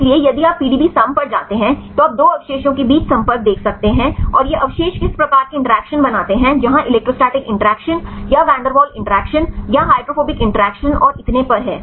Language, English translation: Hindi, So, if you go to the PDB sum you can see the contact between 2 residues, and which type of interactions these residues make where the electrostatic interaction or Van Der Waals interactions or hydrophobic interactions and so on right